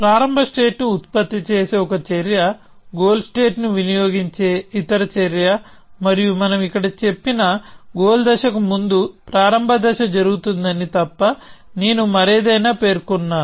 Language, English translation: Telugu, One action which produces the start state, other action which consumes the goal state and I have specified anything else except that the start stage happens before the goal stage which we have said here